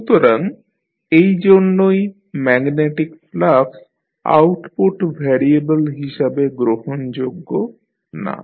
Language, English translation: Bengali, So, that is why the magnetic flux does not qualify to be an output variable